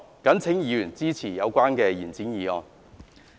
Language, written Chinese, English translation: Cantonese, 謹請議員支持議案。, I urge Members to support the motion